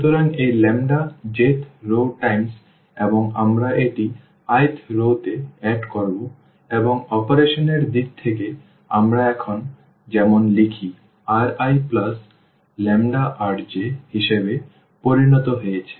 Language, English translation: Bengali, So, this lambda times the j th row and we will add this to the i th row and in terms of the operation we write like now the R i has become as R i plus lambda R j